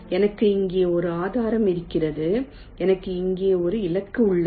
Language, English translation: Tamil, let say i have a source here, i have a target here